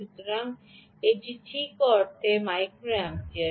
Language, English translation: Bengali, right, so its half a microampere, which is very good